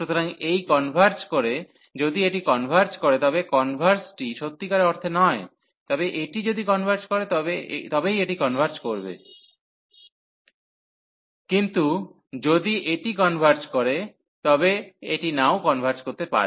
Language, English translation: Bengali, So, this converge so if this converges, but the converse is not true meaning that so this will converge if this converges, but if this converges this may not converge